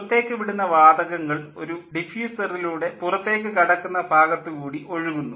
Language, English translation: Malayalam, the exhaust gases flow through a diffuser into the outlet casing